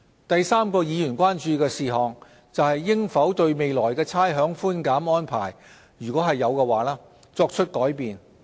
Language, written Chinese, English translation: Cantonese, 第三個議員關注事項，是應否對未來的差餉寬減安排作出改變。, The third matter of concern to Members is whether changes should be made to rates concession arrangement if any in the future